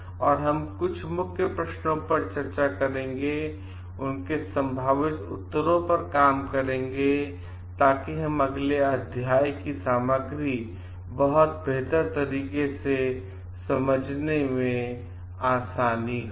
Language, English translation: Hindi, And like we will discuss some key questions also and try to work on it is probable answers so that we get to understand the contents of the chapter in a much better way